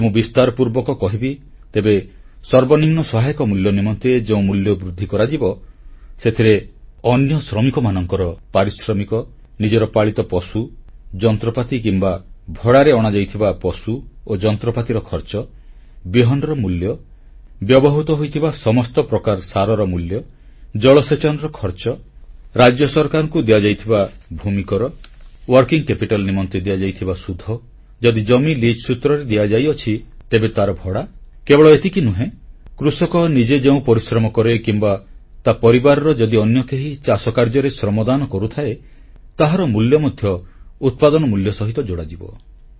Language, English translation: Odia, If I may elaborate on this, MSP will include labour cost of other workers employed, expenses incurred on own animals and cost of animals and machinery taken on rent, cost of seeds, cost of each type of fertilizer used, irrigation cost, land revenue paid to the State Government, interest paid on working capital, ground rent in case of leased land and not only this but also the cost of labour of the farmer himself or any other person of his family who contributes his or her labour in agricultural work will also be added to the cost of production